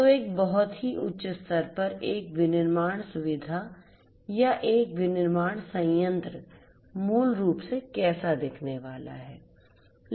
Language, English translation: Hindi, So, this is at a very high level how a manufacturing facility or a manufacturing plant basically is going to look like